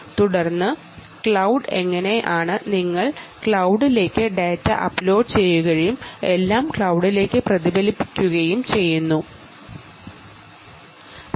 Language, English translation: Malayalam, but we said, how do you build such a system right, and then cloud, how do you upload data to the cloud and actually reflect everything back to the cloud